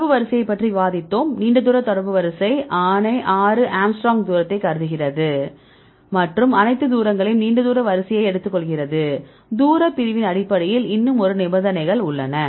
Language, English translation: Tamil, So, we discussed about the contact order and the long range order contact order considers the distance of six angstrom and take all the distances long range order, we have the one more conditions based on the distance separation